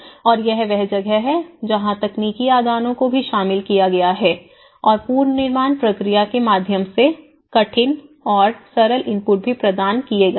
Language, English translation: Hindi, And, this is where even the technical inputs have been incorporated there is also the hard and soft inputs have been provided through the reconstruction process